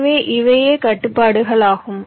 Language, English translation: Tamil, ok, so these are the restrictions